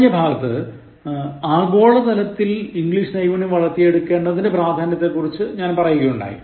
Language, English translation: Malayalam, So, in the previous lesson, I discussed about the importance of developing English Skills in the globalized scenario